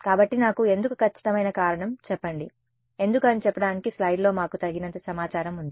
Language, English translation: Telugu, So, why give me a precise reason why, we have enough information on the slide to tell me why